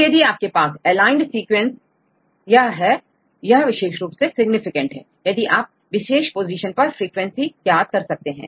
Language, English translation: Hindi, So, this is your aligned sequence, which are really significant and you can calculate the frequency of that particular positions